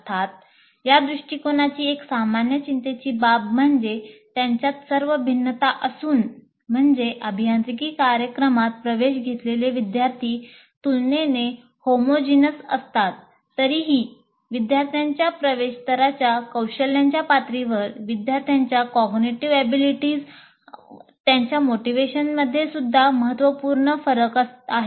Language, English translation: Marathi, Of course, one common concern with this approach, with all its variations also, is that students admitted to an engineering program are relatively homogeneous